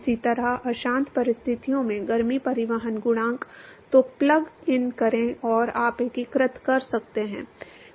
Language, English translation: Hindi, Similarly heat transport coefficient under turbulent conditions; so plug that in and you can integrate